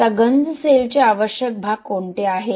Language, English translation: Marathi, Now what are the essential parts of a corrosion cell